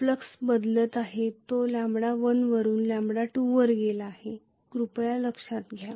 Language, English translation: Marathi, Flux is changing it has gone from lambda 1 to lambda 2, please note that